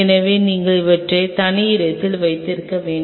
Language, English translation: Tamil, So, you needed to keep them at separate spots